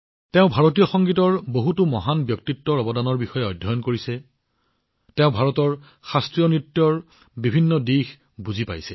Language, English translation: Assamese, He has studied the contribution of many great personalities of Indian music; he has also closely understood the different aspects of classical dances of India